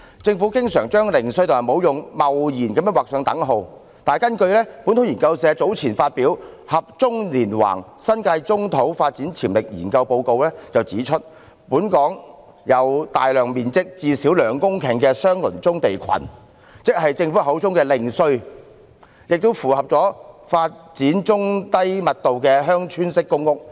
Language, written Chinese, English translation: Cantonese, 政府經常貿然把"零碎"與"沒用"劃上等號，但本土研究社早前發表的《合棕連橫：新界棕土發展潛力研究》報告卻指出，本港有大量面積最少為兩公頃——即政府口中的"零碎"——的相鄰棕地群，適合發展中低密度的鄉村式公屋。, The Government often rashly equates fragmentary with useless . However as pointed out in the report A Study on the Development Potential of Brownfield in the New Territories released by Liber Research Community earlier there are a large number of brownfield land clusters in Hong Kong each covering at least two hectares―described as fragmentary by the Government―suitable for the development of village - type public housing of low to medium density